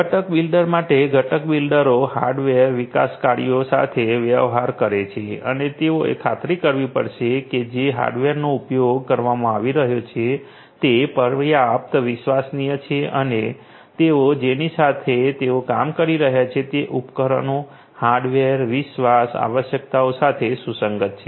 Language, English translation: Gujarati, For the component builder; component builders deal with hardware developers and they will have to ensure that the hardware that are being used are trustworthy enough and the devices the hardware, they are compatible with the trust requirements of the different ones with whom they are going to work